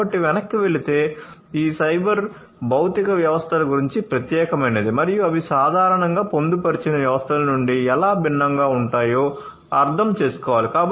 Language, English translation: Telugu, So, going back so, we need to understand that what is so, special about these cyber physical systems and how they differ from the embedded systems in general, all right